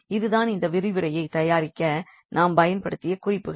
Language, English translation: Tamil, So, that is all, this is these are the references we have used for preparing this lecture